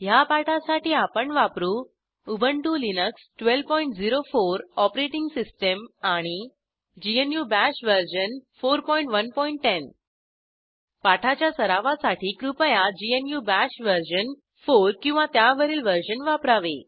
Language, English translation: Marathi, For this tutorial I am using * Ubuntu Linux 12.04 OS * GNU Bash version 4.1.10 GNU Bash version 4 or above is recommended for practice